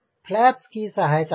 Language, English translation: Hindi, by using flaps